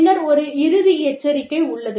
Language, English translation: Tamil, And then, there is a final warning